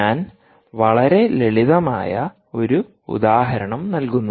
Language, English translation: Malayalam, i give you a very simple example